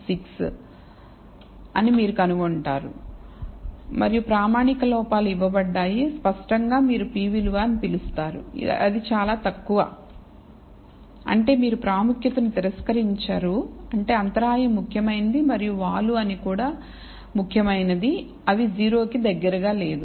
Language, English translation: Telugu, 6, and standard errors given and clearly the what you called the p value is very, very low; which means that you will not reject the significance that is the intercept is significant and the slope is also significant, they are not close to 0